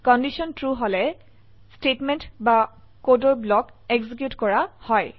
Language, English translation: Assamese, If the condition is True, the statement or block of code is executed.